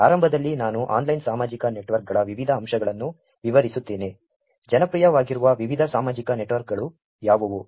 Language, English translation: Kannada, Initially, I will describe different aspects of online social networks, what are the different social networks that are available which are popular